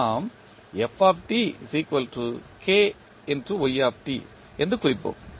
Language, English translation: Tamil, So, what we can write